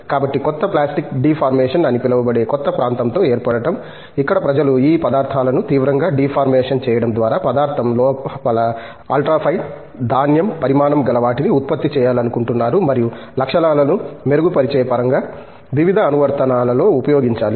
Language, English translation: Telugu, So, forming also including new area what is called severe plastic deformation that has come in, where people want to generate ultra fine grain sizes inside the material by severely deforming these materials and use that for various applications in terms of enhancement of properties